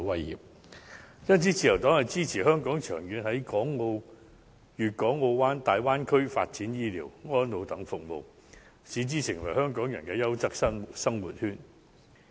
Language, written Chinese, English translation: Cantonese, 因此，自由黨支持香港長遠在粵港澳大灣區發展醫療、安老等服務，使之成為香港人的"優質生活圈"。, Therefore the Liberal Party supports Hong Kong to develop health care and elderly services among others in the Guangdong - Hong Kong - Macao Bay Area in the long run so as to develop the area into a quality living circle for Hong Kong people